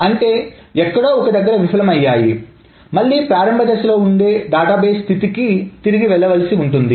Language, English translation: Telugu, That means it has failed somewhere and it must roll back to the database state where before it started